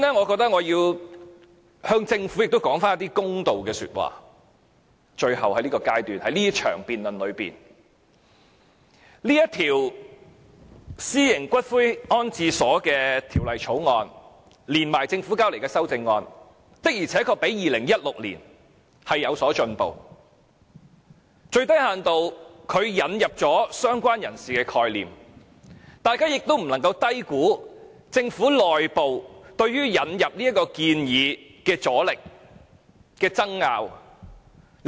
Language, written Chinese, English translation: Cantonese, 主席，在這場辯論的最後階段，首先我要為政府說句公道說話，《私營骨灰安置所條例草案》和政府提交的修正案，的確較2016年有所進步，最低限度引入了"相關人士"的概念，大家不應低估政府內部對於引入此建議的阻力及爭拗。, The Private Columbaria Bill the Bill together with the amendments submitted by the Government have indeed made some progress compared with the version in 2016 . The Bill has at the very least introduced the concept of related person . We should not underestimate the resistance to and dispute within the Government over introducing this proposal